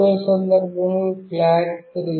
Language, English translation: Telugu, In the third case, the flag is 3